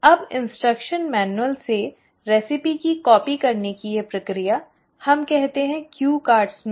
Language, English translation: Hindi, Now this process of copying the recipe from the instruction manual, let us say into cue cards